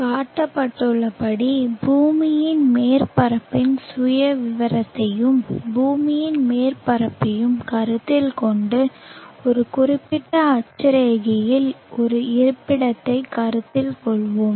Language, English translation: Tamil, Consider the profile of the earth surface are shown and on the surface of the earth let us consider a locality at as specific latitude